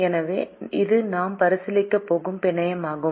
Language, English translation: Tamil, so this is the network that we are going to consider